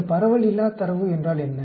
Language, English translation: Tamil, They are distribution free data